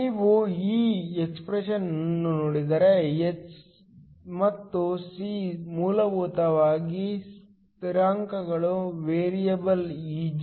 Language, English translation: Kannada, If you look at this expression h and c are essentially constants the only variable is Eg